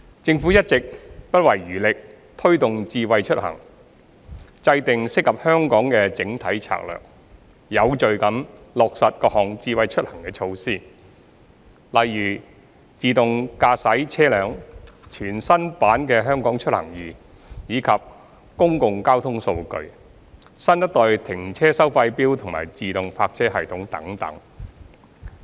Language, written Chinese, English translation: Cantonese, 政府一直不遺餘力推動"智慧出行"，制訂適合香港的整體策略，有序地落實各項"智慧出行"措施，例如自動駕駛車輛、全新版"香港出行易"、公共交通數據、新一代停車收費錶及自動泊車系統等。, The Government has been sparing no effort to promote Smart Mobility by formulating an overall strategy suitable for Hong Kong and implementing various Smart Mobility initiatives such as autonomous vehicles a new version of the HKeMobility mobile application public transport data new - generation parking meters and pilot projects on automated parking systems in an orderly manner